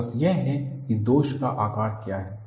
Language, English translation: Hindi, The focus is, what is the shape of the flaw